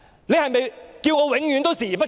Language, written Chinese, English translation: Cantonese, 你是否叫我永遠視而不見？, Are you asking me to turn a blind eye to them forever?